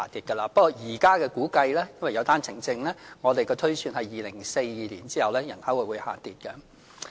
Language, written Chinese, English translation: Cantonese, 不過，根據現時的估計，由於有單程證，我們的推算是人口會在2042年後下跌。, According to the current estimate due to the presence of the one - way permit quota our population is projected to fall after 2042